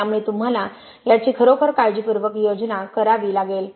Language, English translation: Marathi, So you have to plan that really carefully